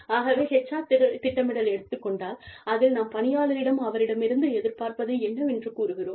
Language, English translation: Tamil, So, when we talk about HR planning, we communicate the expectations, to the employee